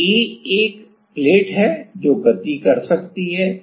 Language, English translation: Hindi, So, A is A is a plate which can move ok